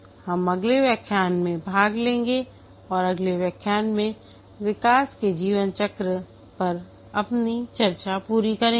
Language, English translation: Hindi, We will take up in the next lecture and we will complete our discussion on the development life cycles in the next lecture